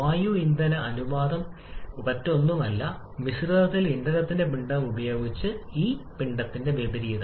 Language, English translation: Malayalam, Air fuel ratio is nothing, but just the opposite of this mass of air by mass of fuel present in a mixture